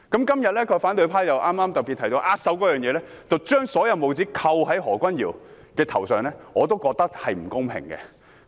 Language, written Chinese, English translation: Cantonese, 今天反對派提到握手一事，將帽子扣在何君堯議員的頭上，我認為並不公平。, Today Members from the opposition camp have mentioned the handshake incident and put labels on Dr Junius HO which I think is unfair